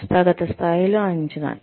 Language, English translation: Telugu, Assessment at the organizational level